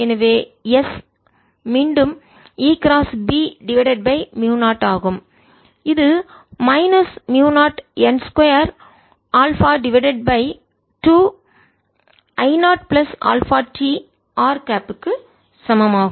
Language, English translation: Tamil, so s is again given as e cross b divided by mu naught, which is given as minus mu naught n square alpha divided by two into i naught plus alpha t r cap